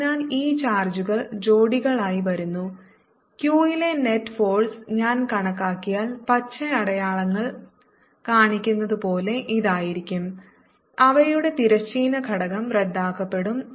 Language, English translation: Malayalam, and if i calculate the net force here on q is going to be like this, as shown by green arrows, and their horizontal component will cancel